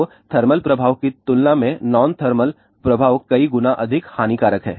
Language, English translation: Hindi, So, non thermal effects are several times more harmful than thermal effects